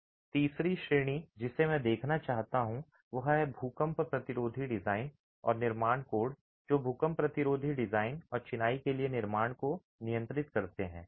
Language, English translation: Hindi, The third category that I would like to look at is earthquake resistant design and construction codes that regulate earthquake resistant design and construction for masonry